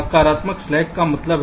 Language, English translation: Hindi, what does a positive slack mean